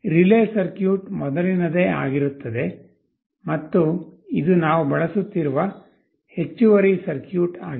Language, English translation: Kannada, The relay circuit is the same, and this is the additional circuit we are using